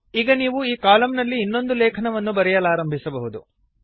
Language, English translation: Kannada, So you can start writing another article in this column